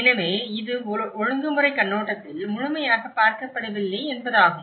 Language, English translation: Tamil, So, which means it is completely not been looked into the regulatory perspective